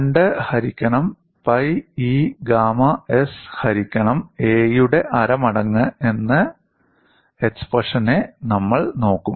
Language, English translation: Malayalam, We have looked at the expression as 2 by pi E gamma s divided by a whole power half